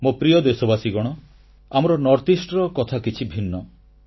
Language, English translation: Odia, My dear countrymen, our NorthEast has a unique distinction of its own